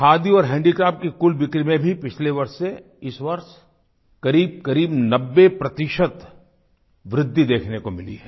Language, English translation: Hindi, Compared to last year, the total sales of Khadi & Handicrafts have risen almost by 90%